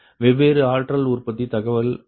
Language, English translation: Tamil, different power generation data, right